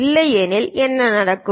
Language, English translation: Tamil, Otherwise what will happen